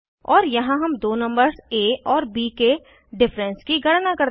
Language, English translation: Hindi, And here we calculate the difference of two numbers a and b